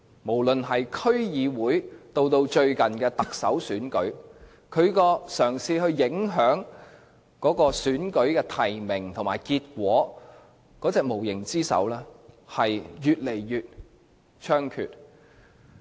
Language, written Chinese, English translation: Cantonese, 無論是區議會或最近的特首選舉，中聯辦試圖影響提名和結果的無形之手均顯得越來越猖獗。, As evident from the District Council elections and the recent Chief Executive Election the invisible hands of LOCPG to intervene in the nomination and results have become distinctively visible